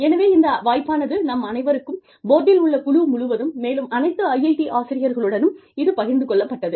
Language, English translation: Tamil, So, this opportunity was shared, with all of us, across the board, with all IIT faculty